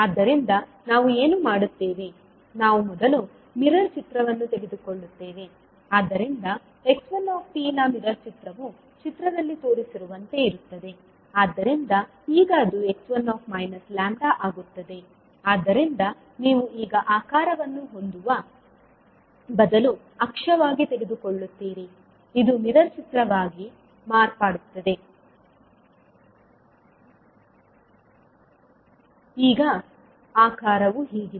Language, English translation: Kannada, So what we will do we will first take the mirror image so the mirror image of x one t will be like as shown in the figure, so now it will become x minus lambda you will take the lambda as an axis so now instead of having shape like this it has become the mirror image now the shape is like this